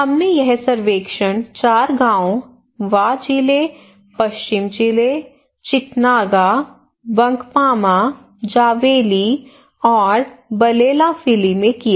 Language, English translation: Hindi, We conducted this survey in four villages in Wa district, West district, Chietanaga, Bankpama, Zowayeli and Baleowafili